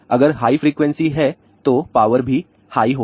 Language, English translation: Hindi, So, higher the frequency, it will have a higher energy